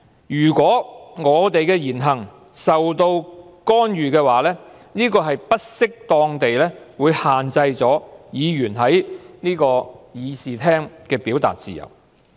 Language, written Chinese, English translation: Cantonese, 如果我們的言行受到干預，便是不適當地限制議員在這個議事廳的表達自由。, If there was intervention in our speeches and acts then our freedom of expression in this Chamber would be inappropriately restrained